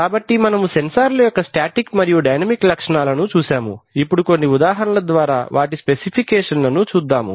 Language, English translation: Telugu, So we have seen the static and the dynamic characteristics of the sensors, now let us see some example specifications